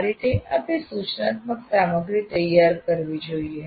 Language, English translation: Gujarati, So that is how you have to prepare your instructional material